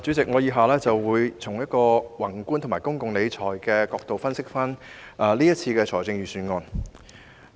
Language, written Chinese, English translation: Cantonese, 主席，我以下會從宏觀及公共理財的角度分析今年的財政預算案。, President I will analyse this years Budget from a macro and public finance perspective